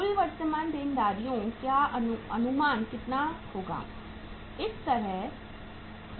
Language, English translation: Hindi, Estimation of the total current liabilities will be how much